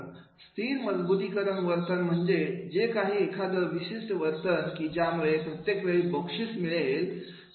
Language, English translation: Marathi, Fixed reinforcement behavior means that is the whenever there will be a particular behavior there will be reward every time